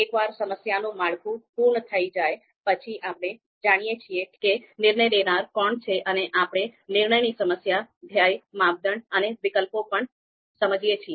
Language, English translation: Gujarati, So once we have done our problem structuring, so we know the decision makers, we understand the decision problem, goal, criteria and alternatives